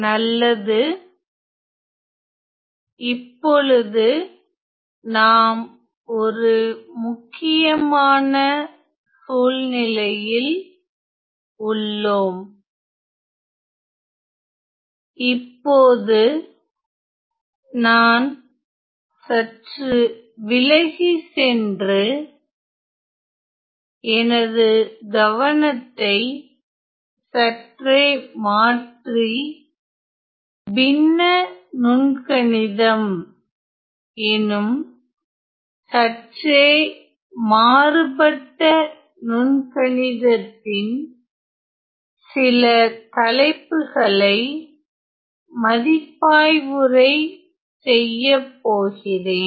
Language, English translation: Tamil, Well now, there is this important now this is a very crucial juncture where I am going to shift, slightly shift my focus and review some topics in a different sort of calculus known as the fractional calculus